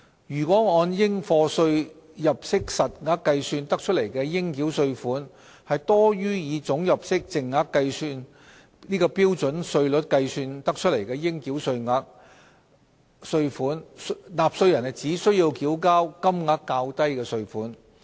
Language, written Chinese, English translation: Cantonese, 如按應課稅入息實額計算得出的應繳稅款，多於以總入息淨額按標準稅率計算得出的應繳稅款，納稅人只須繳交金額較低的稅款。, If the tax payable on the basis of a persons net chargeable income exceeds the tax charged at the standard rate on the persons net total income the person is only required to pay the lower amount of tax